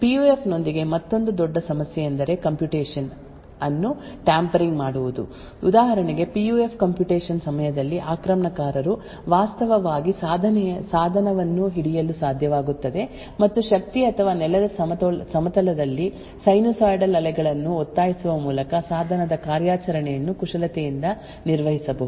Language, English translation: Kannada, Another big problem with PUF is that of tampering with a computation for example, during a PUF computation is for instance an attacker is able to actually get hold of the device and manipulate the device operation by say forcing sinusoidal waves in the power or the ground plane then the response from the PUF can be altered